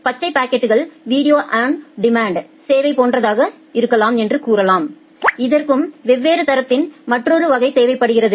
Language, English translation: Tamil, Say the green packet may be something like a video on demand services, which also require another class of quality of service